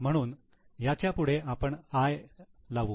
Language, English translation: Marathi, So we will write it as I